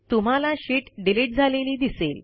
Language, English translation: Marathi, You see that the sheet gets deleted